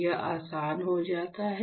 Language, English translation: Hindi, So, it becomes easy